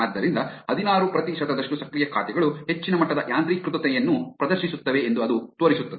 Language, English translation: Kannada, So, what it shows is that 16 percent of active accounts exhibit a high degree of automation